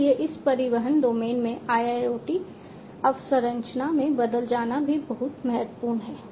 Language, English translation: Hindi, So, securing this turns into the IIoT infrastructure in this transportation domain is also very crucial